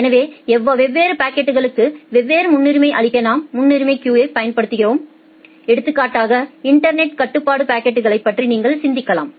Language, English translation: Tamil, So, we applied priority queuing to give different priority to different packets say for example, you can think of the network control packets